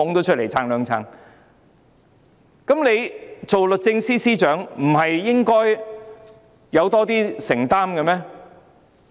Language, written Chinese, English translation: Cantonese, 作為律政司司長，她是否應該有更多承擔？, Being the Secretary for Justice shouldnt she show more commitment?